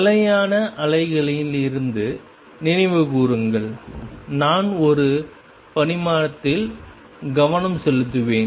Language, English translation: Tamil, Recall from the stationary waves and I am focusing on one dimension